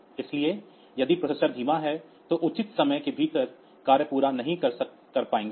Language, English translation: Hindi, So, if the processor is slow so, will not be able to complete the task within the reasonable amount of time